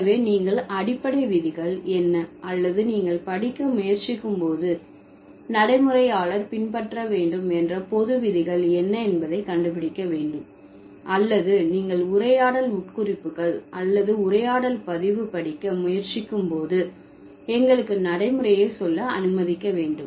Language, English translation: Tamil, So, you need to figure out what are the basic rules or what are the general rules that a pragmatist should follow when you are trying to study let's's say pragmat, so when you are trying to study conversational implicatures or conversational recording